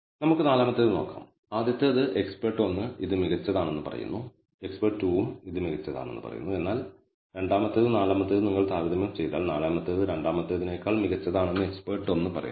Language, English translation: Malayalam, Let us look at the fourth and the first one looks like expert 1 says it is better, expert 2 also says it is better concordant, but the second and fourth if you com pare expert 1 says it is better fourth one is better than the second, but expert 2 disagrees he says the fourth thing is worse than the second one